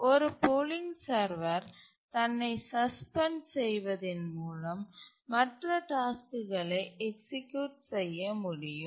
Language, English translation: Tamil, A polling server suspends itself so that the other tasks can execute